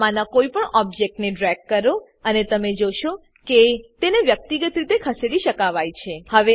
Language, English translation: Gujarati, Drag any of the objects, and you will see that they can be moved individually